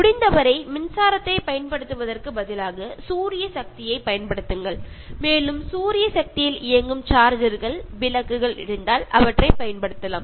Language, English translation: Tamil, And use solar power instead of going for electricity as far as possible and if there is solar powered charges, solar powered lanterns you can use them